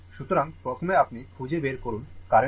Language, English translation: Bengali, So, first you find out what is the current, right